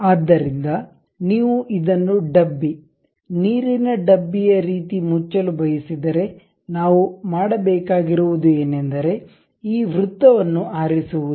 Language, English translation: Kannada, So, if you want to really close this one something like a cane, water cane kind of thing, what we have to do is perhaps pick this circle